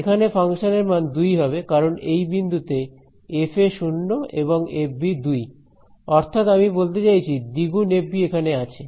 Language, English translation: Bengali, So, it is going to be the value at this point of the function will be 2 because at this point fa is 0 and fb is 2 right so I mean 2 times fb is there